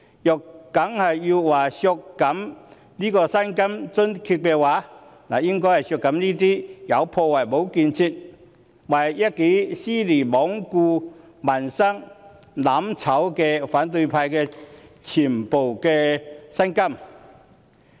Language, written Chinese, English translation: Cantonese, 如要削減薪金津貼，應該削減這些"有破壞無建設"、為一己私利罔顧民生、"攬炒"的反對派議員的全部薪金。, If there is a need to cut someones salaries and allowances we should cut all the salaries of opposition Members who are destructive instead of constructive disregard peoples livelihoods for the sake of their own interests and engage in mutual destruction